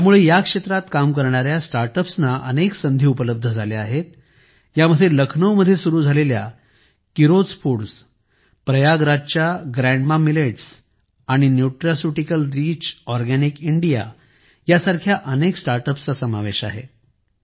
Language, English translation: Marathi, This has given a lot of opportunities to the startups working in this field; these include many startups like 'Keeros Foods' started from Lucknow, 'GrandMaa Millets' of Prayagraj and 'Nutraceutical Rich Organic India'